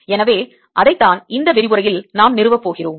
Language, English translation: Tamil, so that is what we are going to establish in this lecture